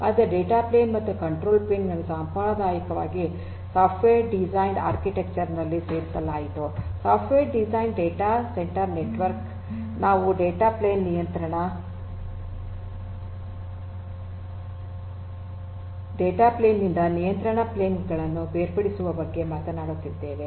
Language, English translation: Kannada, So, data plane and the control plane traditionally were put together in a software defined architecture, a software defined data centre network we are talking about separating out the control plane from the data plane